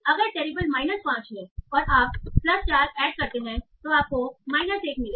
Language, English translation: Hindi, So terrible is minus 5, add plus 4, you get minus 1